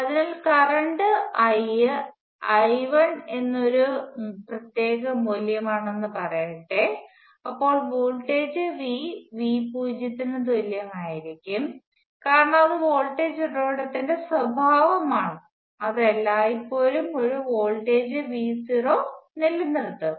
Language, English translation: Malayalam, So, let say the current I is a particular value of I 1 then the voltage V will be equal to V naught because that is the property of the voltage source, it will always maintain a voltage V naught